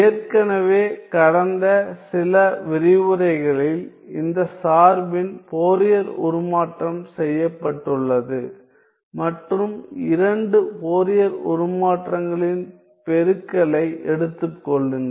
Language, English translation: Tamil, So, four times all I have to do is figure out the Fourier transform of this function which has already been done in the last few lectures and take the product of the two Fourier transforms